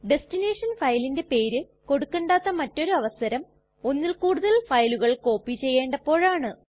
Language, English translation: Malayalam, Another instance when we do not need to give the destination file name is when we want to copy multiple files